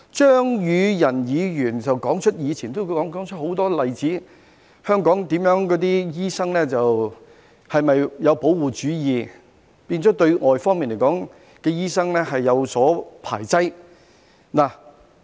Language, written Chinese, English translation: Cantonese, 張宇人議員指出過往很多例子，香港的醫生是否有保護主義，變成排擠外來的醫生呢？, Mr Tommy CHEUNG cited a bunch of past examples . Do doctors in Hong Kong adopt protectionism such that they would edge out overseas doctors?